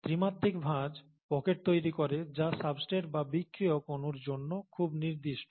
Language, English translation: Bengali, The three dimensional folding creates pockets that are very specific to the substrate molecule or the reacting molecule, reactant